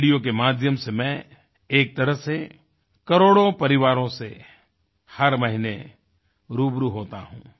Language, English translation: Hindi, Through radio I connect every month with millions of families